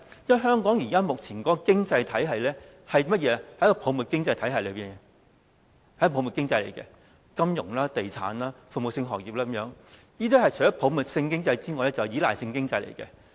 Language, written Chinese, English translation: Cantonese, 因為香港目前的經濟屬泡沫經濟，太着重於金融、地產和服務性行業等，所以除了是泡沫經濟之外，還是依賴性經濟。, It is because Hong Kong is currently experiencing an economic bubble as it attaches too much importance to financial real estate and service industries . Apart from being a bubble economy it is also a dependent economy